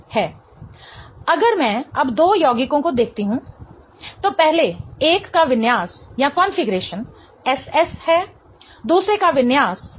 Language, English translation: Hindi, So, if I now look at the two compounds, the first one has configuration SS, the other one has configuration RR